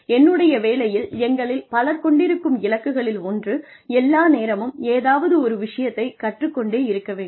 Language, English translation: Tamil, In my profession, one of the goals, that many of us have, is to learn, to keep learning all the time